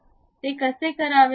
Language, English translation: Marathi, How to do that